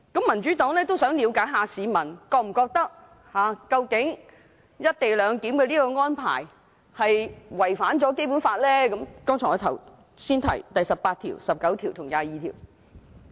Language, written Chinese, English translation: Cantonese, 民主黨都想了解市民是否覺得，"一地兩檢"安排違反我剛才提到的《基本法》第十八條、第十九條和第二十二條。, The Democratic Party also wishes to find out if people consider the co - location arrangement a violation of Articles 18 19 and 22 of the Basic Law that I have just mentioned